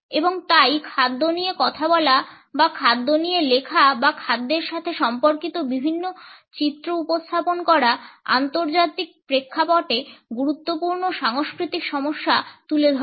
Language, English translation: Bengali, And therefore, talking about food or writing about food or representing various images related with food raise important cultural issues in international contexts